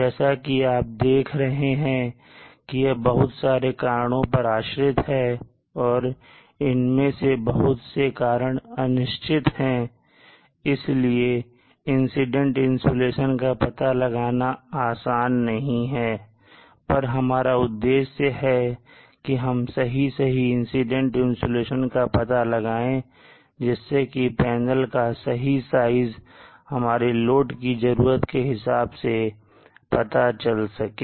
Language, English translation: Hindi, So like this it is dependent on so many factors and many of the factors are uncertain it is not easy to estimate the incident insulation but our objective now is to go towards finding as accurate a value of the incident insulation as possible so that we may be able to size the panel size the collector area for a given load our requirement